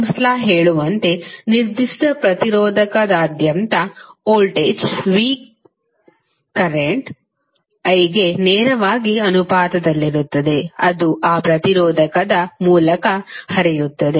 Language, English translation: Kannada, Ohm’s law says that, the voltage V across a particular resistor is directly proportional to the current I, which is flowing through that resistor